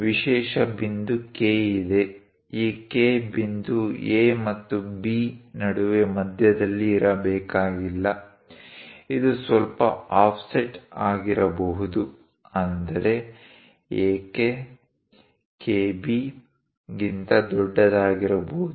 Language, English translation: Kannada, There is a special point K; this K point may not necessarily be at midway between A and B; it might be bit an offset; that means, AK might be larger than KB